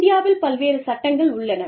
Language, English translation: Tamil, So, there are various laws in India